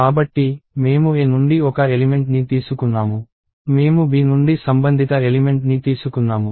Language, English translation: Telugu, So, I took one element from A; I took a corresponding element from B